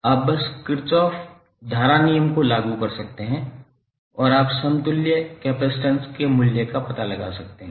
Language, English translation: Hindi, You can simply apply Kirchhoff current law and you can find out the value of equivalent capacitance